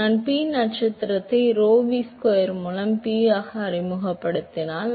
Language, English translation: Tamil, So, if I introduce P star as P by rho v square